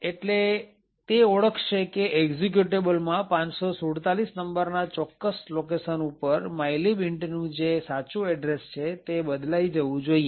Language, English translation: Gujarati, So, therefore it would identify that at locations, this particular location 547 in the executable the actual address of mylib int should be replaced